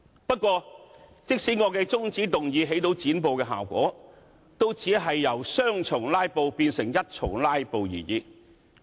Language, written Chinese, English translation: Cantonese, 不過，即使我的中止待續議案起到"剪布"效果，也只是由雙重"拉布"變為一重"拉布"而已。, However even though my adjournment motion was able to cut off the filibuster it could only cut off one of the two rounds of filibusters